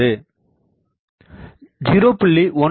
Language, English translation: Tamil, 18 to 0